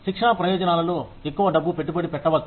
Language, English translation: Telugu, May be, invest more money in the training benefits